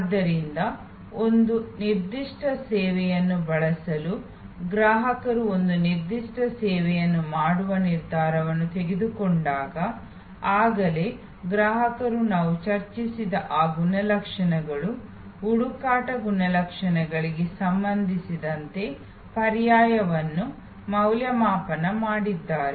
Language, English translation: Kannada, So, when a customer has taken a decision to occur a particular service to use a particular service, then already the customer has evaluated the alternatives with respect to those attributes that we discussed, the search attributes, the experience attributes and the credence attributes